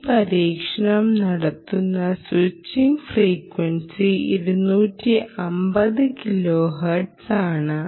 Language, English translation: Malayalam, the switching frequency under which this experiment is done is for two hundred and fifty kilohertz